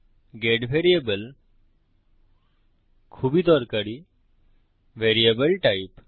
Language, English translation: Bengali, Get variable is a very useful variable type